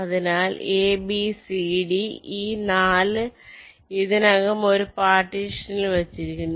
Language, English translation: Malayalam, so a, b, c, d, these four already have been put in one partition